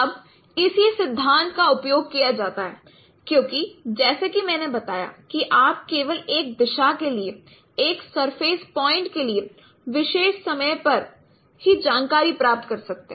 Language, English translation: Hindi, Now the same principle is used because as I mentioned only for one directions at a particular time you can get information only for one surface point given a direction